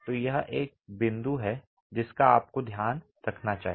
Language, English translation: Hindi, So, this is a point you need to keep in mind